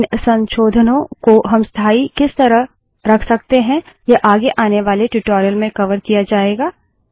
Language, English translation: Hindi, The way by which we can make these modifications permanent will be covered in some advanced tutorial